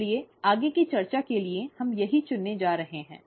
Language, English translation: Hindi, So that is what we are going to choose for further discussion